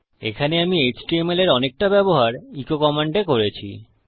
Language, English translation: Bengali, I used a lot of html embedded in our echo command here